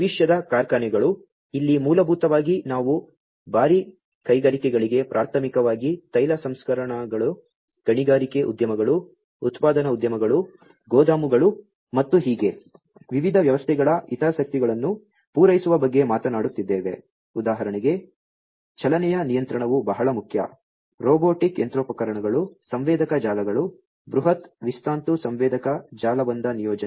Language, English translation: Kannada, Factories of the future, here basically we are talking about catering to the heavy industries primarily such as you know oil refineries, mining industry, manufacturing industry, warehouses, and so on and the interests of the different systems for example, motion control this is very important, robotic machinery, sensor networks, massive wireless sensor network deployment